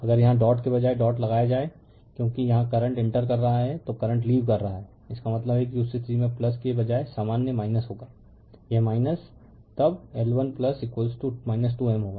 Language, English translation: Hindi, If you put instead of dot here if you put dot because here current is entering then current is leaving; that means, in that case general instead of plus it will be minus, it will be minus then L 1 plus L 2 minus 2 M